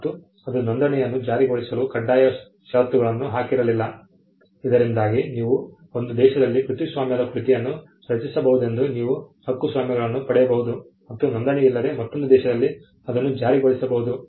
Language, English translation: Kannada, It did not make, it did not make registration a mandatory condition for enforcement, so that ensured that copyrights you could get a copy you could have a copyrighted work created in one country, and it could be enforced in another country even without registration